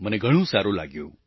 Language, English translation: Gujarati, It was a great feeling